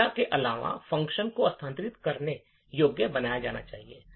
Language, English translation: Hindi, So, in addition to the data even the function should be made relocatable